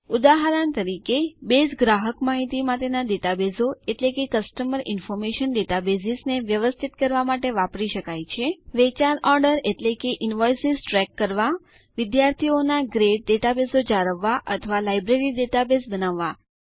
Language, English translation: Gujarati, For example, Base can be used to manage Customer Information databases, track sales orders and invoices, maintain student grade databases or build a library database